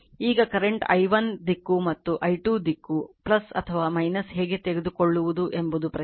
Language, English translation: Kannada, Now, question is is current i1 is direction and i 2 is direction direction in this direction